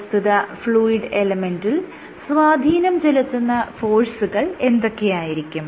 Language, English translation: Malayalam, What are the forces that are that this fluid element is subjected to